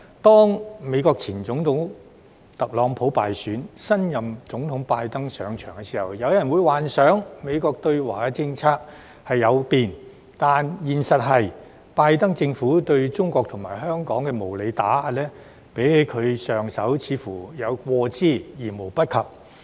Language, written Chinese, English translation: Cantonese, 在美國前總統特朗普敗選及新任總統拜登上場時，有人幻想美國的對華政策會改變，但現實是拜登政府對中國和香港的無理打壓，似乎較上任有過之而無不及。, When former United States US President TRUMP lost the election and his successor President BIDEN assumed office some people fantasized that USs China policy would change . Yet in reality the unreasonable suppression imposed by BIDENs Government against China and Hong Kong seems even worse than that of its predecessor